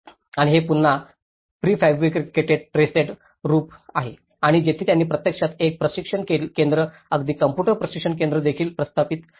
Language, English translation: Marathi, And this is again a prefabricated trussed roof and here they have actually established a training center even computer training center as well